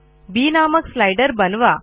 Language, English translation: Marathi, We make another slider b